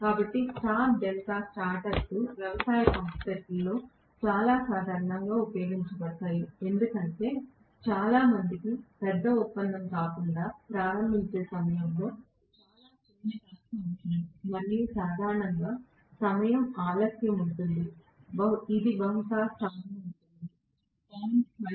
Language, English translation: Telugu, So, star delta starters are very commonly used in agricultural pump sets because, most of them require very very small torque during the you know time of starting not a big deal and generally, there will be a time delay, it will be in star for probably 0